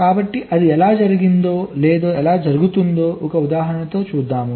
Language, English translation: Telugu, so we shall see with an example how it is done or it is happening